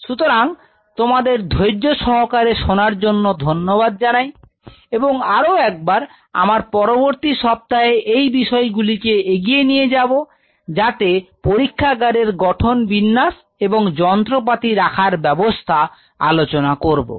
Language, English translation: Bengali, So, thanks for your patient listening, once again we will continue in the next week for the development on these layout design and instrumentation